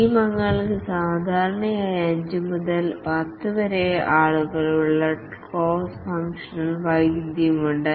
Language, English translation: Malayalam, The team members typically 5 to 10 people, they have cross functional expertise